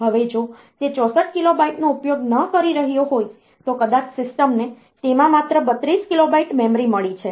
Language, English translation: Gujarati, Now if it is not using 64 kilobyte maybe the system has got only 32 kilobyte of memory in it